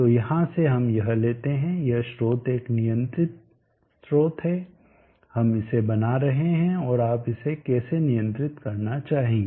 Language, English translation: Hindi, So the take away from here is that this source is a control source we are making it and how would you like to control it